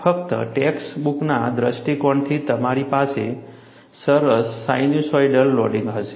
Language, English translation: Gujarati, Only from the text book point of view, you will have a nice sinusoidal loading